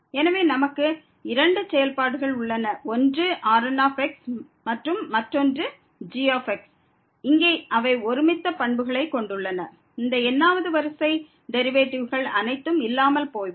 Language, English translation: Tamil, So, we have 2 functions one is and another one is they have similar properties here that all these derivative upto order they vanish